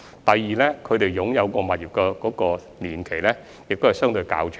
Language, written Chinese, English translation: Cantonese, 第二，他們擁有物業的年期也相對較長。, Secondly they hold their properties for a relatively long time